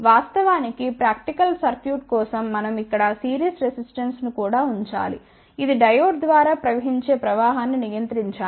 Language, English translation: Telugu, In fact, for practical circuits we should also put a series resistance over here, which should control the current flowing through the Diode ok